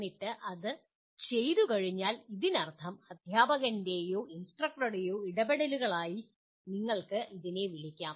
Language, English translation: Malayalam, And then having done that, that means these what you may call as the interventions of the by the teacher or by the instructor